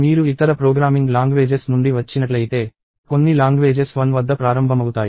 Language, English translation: Telugu, If you come from other programming languages, some languages start at 1